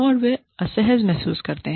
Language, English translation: Hindi, And, they feel uncomfortable